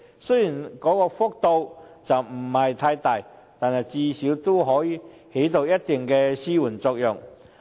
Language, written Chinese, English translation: Cantonese, 雖然調整幅度不算太大，但至少可以起到一定的紓緩作用。, Although the adjustment rate is not significant at least it brings a certain extent of relief